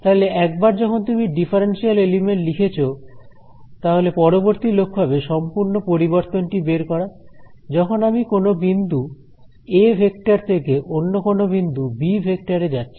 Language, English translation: Bengali, Now, once you have written a differential element as it is called the next objective would be to find out what is the total change; let us say when I go from some point “a” vector to some point over here “b” vector